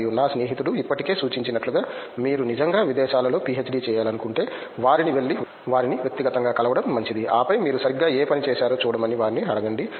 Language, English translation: Telugu, In this way there is a lot of collaboration and as my friend has already suggested, if you really want to do a PhD abroad, it is better to go and then meet them in person and then ask them to come and see what work you have exactly done